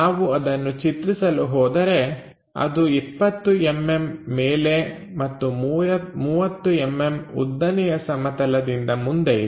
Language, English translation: Kannada, If we are drawing that will be 20 mm and 30 mm in front of vertical plane